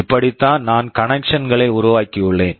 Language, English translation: Tamil, This is how I have made the connections